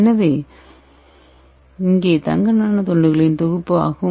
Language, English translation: Tamil, So this is the synthesis of gold Nano rods